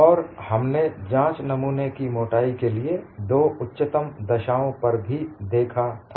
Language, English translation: Hindi, And we have looked at two extreme cases of specimen thicknesses